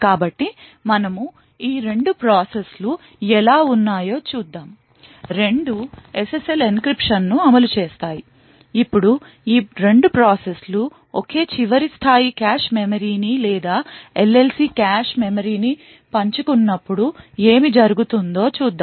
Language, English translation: Telugu, So let us see how we have these 2 processes; both executing SSL encryption, now we will look at what happens when these 2 processes share the same last level cache memory or the LLC cache memory